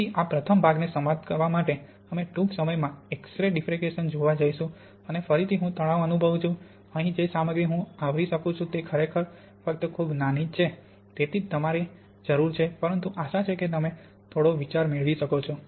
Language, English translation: Gujarati, So to finish this first part we are going to look briefly at X ray diffraction and again I stress what the material I can cover here is really only very small, everything you need to, but hopefully you can get some idea